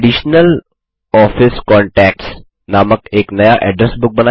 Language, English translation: Hindi, Create a new address book called Additional Office Contacts